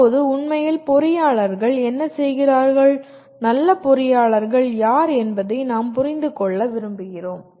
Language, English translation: Tamil, And now coming to actually what do engineers do, we want to understand who are good engineers